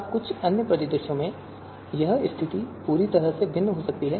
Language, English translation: Hindi, Now in some other scenarios, this situation can be totally different